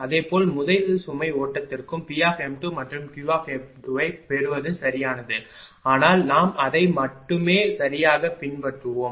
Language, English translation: Tamil, Similarly for the first load flow also it is possible right to get P m 2 and Q m 2, but we will stick to it that only right